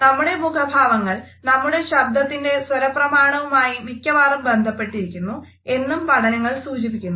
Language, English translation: Malayalam, Researchers have also suggested that our facial expressions often match with the tonality of our voice